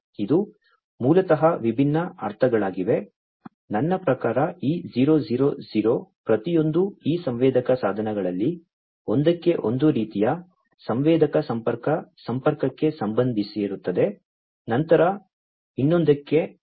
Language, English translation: Kannada, And these are basically the different sense, I mean each of these 000 will correspond to one type of sensor connect connection to one of these sensor device, then 011 for another one and so on